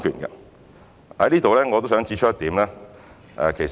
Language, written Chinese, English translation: Cantonese, 就此，我也想指出一點。, I would like to make one point in this regard